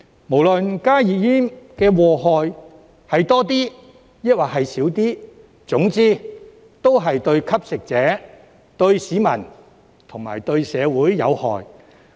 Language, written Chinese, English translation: Cantonese, 不論加熱煙的禍害是多一點抑或少一點，總之都是對吸食者、市民、社會有害。, Regardless of whether or not HTPs are more harmful they still cause harm to the users members of the public and society